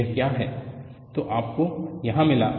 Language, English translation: Hindi, So,that is what you get here